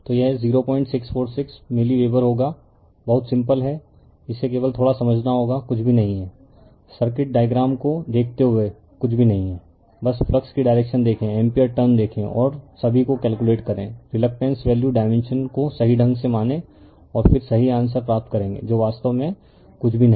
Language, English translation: Hindi, 646 milliweber, very simple it is only you have to understand little bit right nothing is there, looking at the diagram circuit nothing is there just see the direction of the flux see the ampere turns and calculate all the reluctances value dimensions correctly right and then you will get your what you call the correct answer right nothing is there actually right